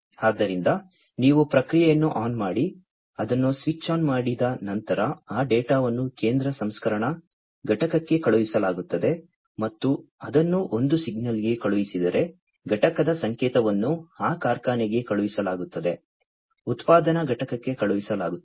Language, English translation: Kannada, So, you turn on the process so, once it is switched on that data is sent to the central processing unit and it is also sent to one signal is sent unit signal is sent to that factory, the production plant it is sent, right